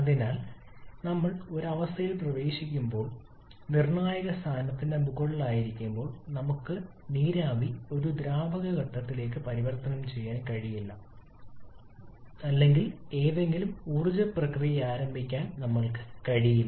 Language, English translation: Malayalam, So when we are operating at a condition we are above the critical point then we cannot convert the vapour to a liquid phase or we cannot initiate any condensation process seemed by any simple way